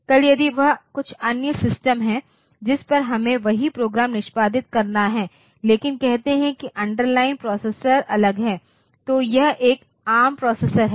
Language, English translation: Hindi, Tomorrow if it is some other system on which we have got the same program to be executed, but say the underline processor is different, so it is a arm processor in that case the compiler that you should have there